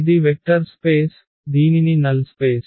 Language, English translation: Telugu, This is a vector space which is called null space